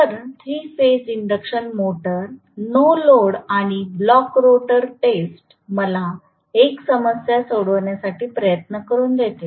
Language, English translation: Marathi, So, 3 phase induction motor no load and blocked rotor test let me try to work out 1 problem